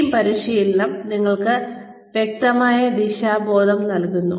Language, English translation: Malayalam, Team training gives you a clear sense of direction